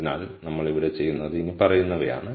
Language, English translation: Malayalam, So, what we do here is the following